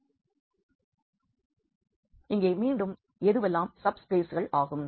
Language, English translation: Tamil, So, here again this what are the subspaces here